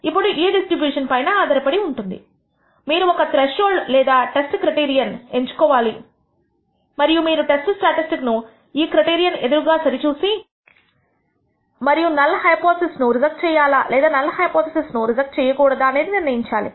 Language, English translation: Telugu, Now, based on this distribution you choose a threshold or the test criterion and now you compare the computed test statistic against this criterion and de cide whether to reject the null hypothesis or not reject the null hypothesis